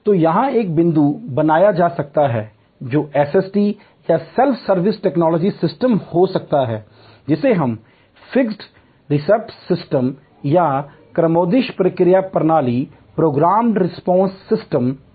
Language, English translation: Hindi, So, a point can be made here that is SST or Self Service Technology systems can be what we call fixed response systems or program response system